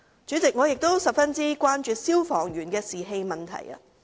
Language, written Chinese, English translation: Cantonese, 主席，我亦十分關注消防員的士氣問題。, President I am also very concerned about the morale of firemen